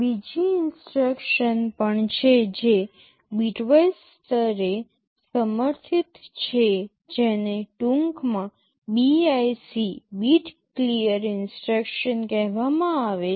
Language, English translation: Gujarati, There is another instruction also that is supported at the bitwise level this is called bit clear instruction, in short BIC